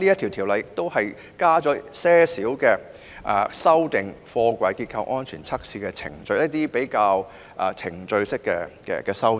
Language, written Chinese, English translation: Cantonese, 《條例草案》亦建議修訂貨櫃結構安全測試的程序，這屬於程序方面的修訂。, The Bill also proposes amendments to the procedures for testing the structural safety of containers which are procedural in nature